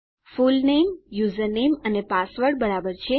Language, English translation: Gujarati, My fullname, username and password are fine